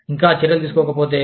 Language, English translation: Telugu, If still no action is taken